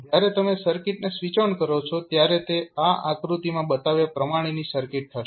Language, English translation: Gujarati, When you switch on the circuit it will be the circuit like shown in the figure